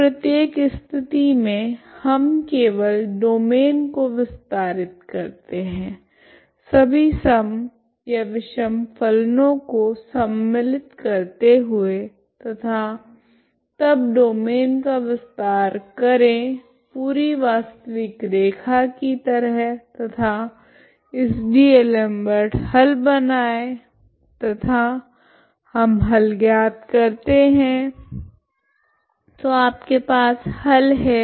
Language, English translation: Hindi, So in each case we simply extends the domain into extend all the functions involved even or odd functions and then extend the domain as a full real line and make use of this D'Alembert's solution and we find the solution so you have a solution, okay we have a solution